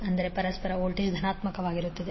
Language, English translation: Kannada, That means the mutual voltage will be positive